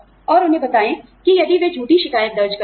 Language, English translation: Hindi, And, let them know that, if they file a false complaint